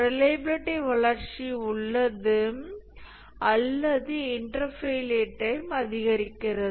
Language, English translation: Tamil, So, there is a reliability growth or inter failure times increases